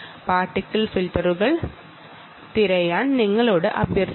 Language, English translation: Malayalam, you may have to consider the use of particle filters